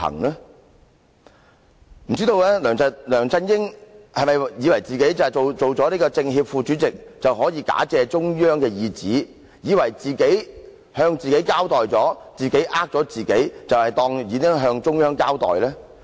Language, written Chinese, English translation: Cantonese, 不知道梁振英是否以為他擔任政協副主席，便可以假借中央意旨，以為自己向自己交代後，欺騙了自己，便當作已向中央交代？, I do not know if LEUNG Chun - ying thinks that after he became the Vice Chairman of the Chinese Peoples Political Consultative Conference he can act in the name of the Central Authorities and after giving an account to himself and deceiving himself he regards that he has given an account to the Central Authorities